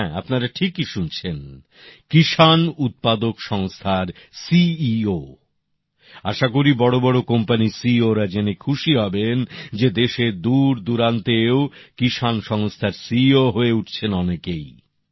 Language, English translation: Bengali, I hope this is heartwarming news for the CEOs of major companies that farmers from far flung areas of the country are now also becoming CEOs of farmer organizations